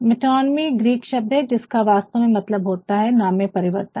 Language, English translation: Hindi, A metonymy is actually a Greek word, which actually means the change of name, the change of name